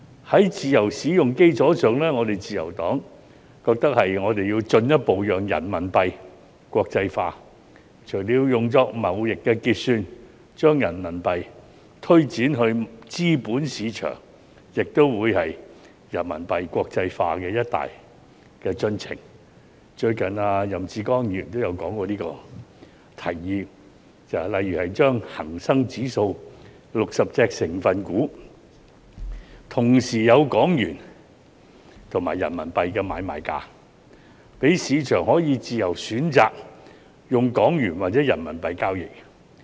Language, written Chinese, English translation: Cantonese, 在"自由使用"基礎上，我們自由黨認為我們要進一步讓人民幣國際化，除了用作貿易結算，將人民幣推展至資本市場亦將會是人民幣國際化的一大進程——最近任志剛亦曾提出這項建議——例如恒生指數60隻成分股同時有港元及人民幣的買賣價，讓市場可以自由選擇用港元或人民幣交易。, On the basis of free use we in the Liberal Party consider that we should further facilitate the internationalization of RMB . Apart from using RMB for trade settlement extending it to the capital market will also be a major step forward in the internationalization of RMB as proposed by Joseph YAM recently . For example transaction prices of the 60 constituent stocks of the Hang Seng Index can be made available in both Hong Kong dollar HKD and RMB providing the market with a free choice to trade in HKD or RMB